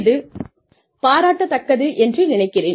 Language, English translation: Tamil, And that, I think is commendable